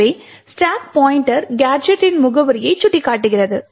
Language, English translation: Tamil, Therefore, the stack pointer is pointing to the address gadget 2